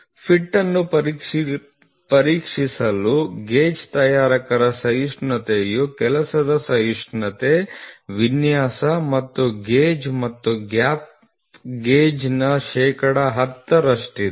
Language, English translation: Kannada, Take taking gauge makers tolerance to be 10 percent of the working tolerance design plus gauge and gap gauge to check the fit